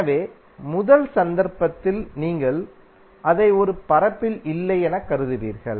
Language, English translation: Tamil, So, at the first instance you will consider it as a non planar